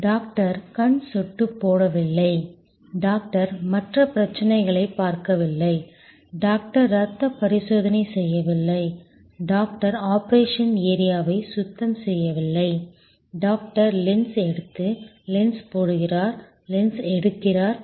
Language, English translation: Tamil, The doctor did not give eye drops, the doctor did not check for other problems, the doctor did not do the blood test, the doctor was not cleaning the operation area, the doctor was only doing take lens out, put lens in, take lens out, put lens in